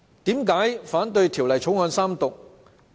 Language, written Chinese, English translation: Cantonese, 為何我反對《條例草案》三讀？, Why do I oppose the Third Reading of the Bill?